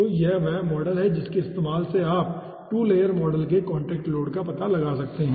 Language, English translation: Hindi, okay, so this is the model which using, in which you can find out the contact load for 2 layer model